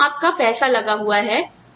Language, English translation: Hindi, So, this is, here is your money